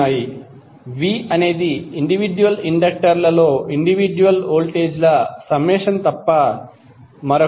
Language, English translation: Telugu, V is nothing but the summation of individual voltages across the individual inductors